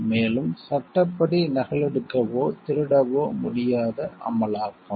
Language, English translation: Tamil, And enforcement which is cannot be copied or stolen as per law